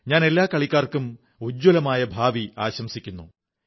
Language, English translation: Malayalam, I wish all the players a bright future